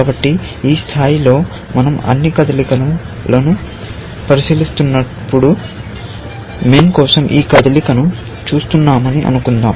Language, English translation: Telugu, So, at this level, let us assume that we are looking at this move for, when we are going look at all the moves for min